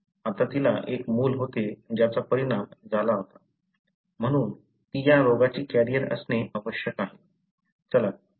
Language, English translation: Marathi, Now, since she had a child which was affected, so she must be a carrier for this disease